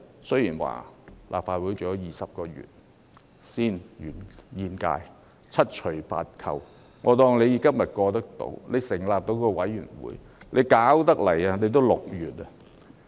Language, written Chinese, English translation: Cantonese, 雖然立法會還有20個月才換屆，但七除八扣，即使今天能通過成立專責委員會，到真正運作已接近6月。, Although there are 20 months or so remaining until the next term of the Legislative Council after deducting the time spent on administrative work even if a select committee is approved to be set up today it will be almost June when it can really start functioning